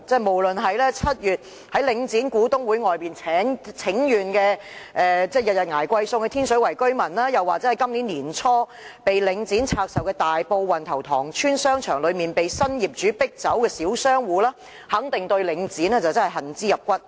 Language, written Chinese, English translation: Cantonese, 無論是7月在領展股東會外請願、每日捱貴餸菜的天水圍居民，或是今年年初領展拆售大埔運頭塘邨商場後被新業主迫走的小商戶，都肯定對領展恨之入骨。, For the residents of Tin Shui Wai who petitioned outside the shareholders meeting of Link REIT in July and bear expensive food prices on a daily basis as well as the small shop operators who were driven out of business by the new owner after Link REIT had divested the shopping centre in Wan Tau Tong Estate in Tai Po early this year it is certain that they all hold deep hate of Link REIT